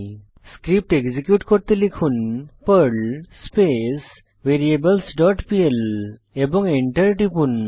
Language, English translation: Bengali, Execute the script by typing perl variables dot pl and press Enter